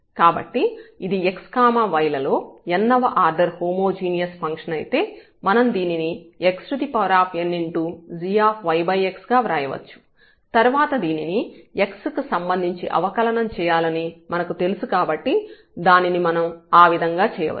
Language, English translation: Telugu, So, here if it is a homogeneous function of x and y of order n; so, we can write down that this x power n and g y over x and then we know already we have to differentiate with respect to x